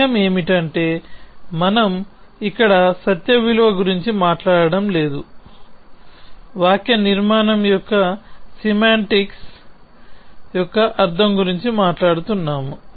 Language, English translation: Telugu, The point is not we are not talking about the truth value here, we are talking about the meaning of the semantics of the syntax